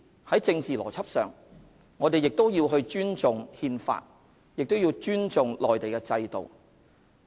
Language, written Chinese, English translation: Cantonese, 在政治邏輯上，我們必須尊重《憲法》和內地的制度。, Going by this political logic we must respect the Constitution and the system in the Mainland